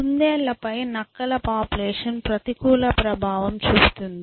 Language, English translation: Telugu, How does the population of rabbits influence the population of foxes